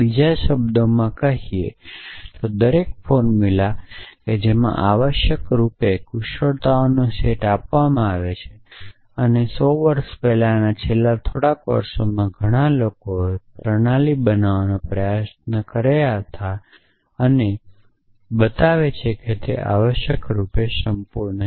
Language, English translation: Gujarati, In other words, every formula that is entailed a given set of axioms essentially and in the last a couple of hundred years ago, there were lot of people trying to build logic systems and show that they are complete essentially